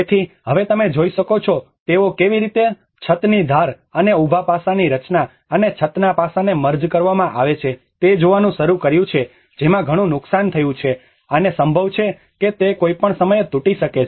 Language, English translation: Gujarati, \ \ \ So, now you can see that they have started looking at how the edges of the roof and the structure of the vertical aspect and the roof aspect are merging that is a lot of damage have occurred, and there might be a chance that it might collapse at any time